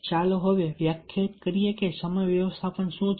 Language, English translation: Gujarati, having said these, let us now define what is time management